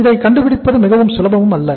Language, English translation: Tamil, It is not very easy to find out